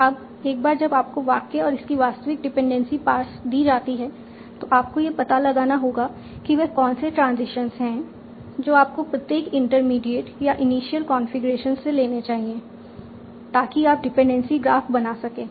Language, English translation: Hindi, Now once you are given the sentence and its actual dependency parts that you want to obtain, you have to find out what are the transitions that you should be taking at each intermediate or initial configuration so that you can end up with the dependency graph